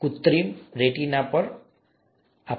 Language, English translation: Gujarati, This is on artificial retina, okay